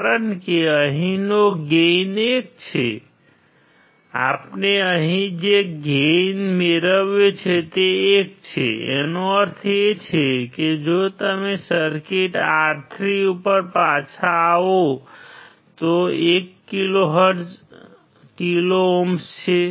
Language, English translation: Gujarati, Because the gain here is 1, the gain that we have set here is 1; that means, if you come back to the circuit R3 is 1 kilo ohm